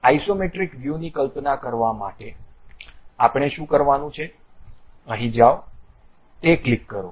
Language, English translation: Gujarati, To visualize isometric view, what we have to do, go here, click that one